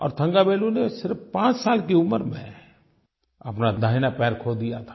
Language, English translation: Hindi, Thangavelu had lost his right leg when he was just 5